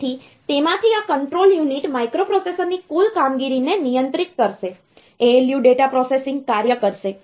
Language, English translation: Gujarati, So, out of that this control unit will control the total operation of the microprocessor, ALU will perform a data processing function